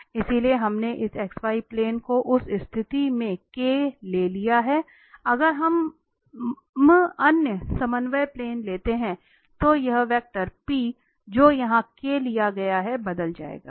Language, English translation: Hindi, So, we have taken this x y plane in that case we have taken this k here, if we take the other coordinate plane accordingly this vector p which is taken here k will change